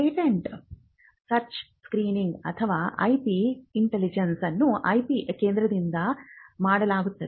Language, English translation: Kannada, Patent search screening or what we can even call as IP intelligence is something which can only be done by an IP centre